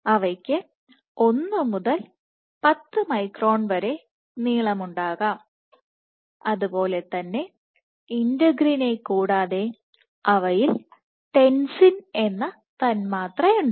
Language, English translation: Malayalam, They can we 1 to 10 microns in length and in adhesion to Integrin they have this molecule called Tensin